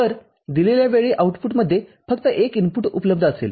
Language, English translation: Marathi, So, at a given time only one of the input will be available at the output